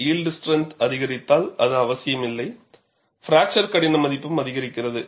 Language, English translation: Tamil, If the yield strength increases, it is not necessary fracture toughness value also increases